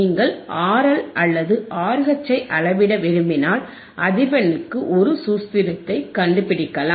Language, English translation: Tamil, And if you want to measure R L or R H, we can find a formula of frequency